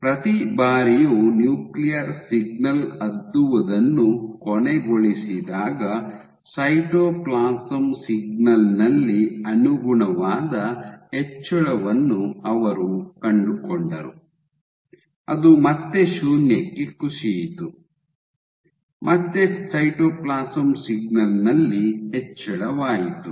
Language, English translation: Kannada, And every time the nuclear signal ended up dipping, they found a corresponding increase in the cytoplasm signal which again fell back to 0, again an increase in the cytoplasm signal